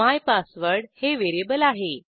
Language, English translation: Marathi, mypassword is a variable